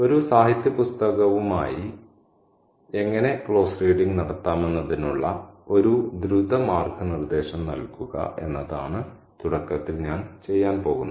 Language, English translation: Malayalam, So what I'm going to do at the beginning is to offer a quick guideline on to how to do close reading with a literary text